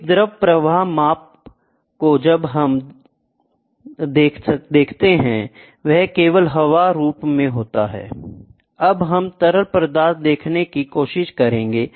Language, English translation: Hindi, A fluid flow measurement till now what we saw was only air as a media, now we will try to see fluid